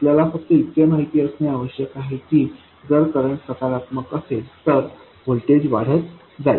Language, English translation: Marathi, All we need to know is that if the current is positive the voltage will go on increasing